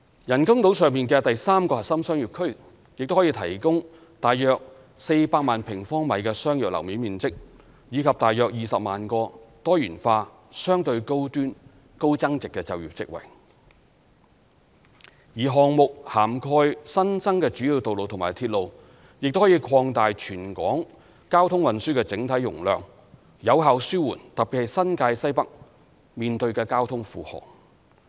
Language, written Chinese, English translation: Cantonese, 人工島上的第三個核心商業區亦可提供約400萬平方米商業樓面面積，以及大約20萬個多元化、相對高端、高增值的就業職位，而項目涵蓋新增的主要道路及鐵路，亦可擴大全港交通運輸的整體容量，有效紓緩特別是新界西北面對的交通負荷。, The development of the third Core Business District on the artificial islands can also provide a commercial floor area of about 4 million sq m and around 200 000 diversified employment opportunities which are relatively high - end and high value - added and the new major road and railways built under the projects will also serve to enhance the overall carrying capacity of the traffic and transport system in Hong Kong effectively relieving the traffic load particularly in the Northwest New Territories